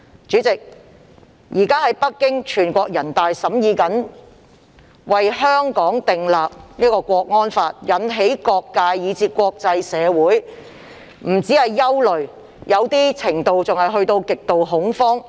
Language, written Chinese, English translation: Cantonese, 主席，全國人大正在北京審議為香港訂立國安法，引起各界，以至國際社會的憂慮甚至極度恐慌。, President the national security law currently being discussed in Beijing by NPC has aroused worries and even extreme fears among various sectors and even in the international community